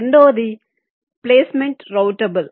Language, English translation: Telugu, secondly, the placement is routable